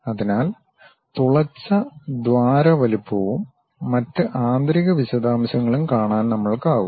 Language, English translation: Malayalam, So, that we will be in a position to really see the drilled hole size and other interior details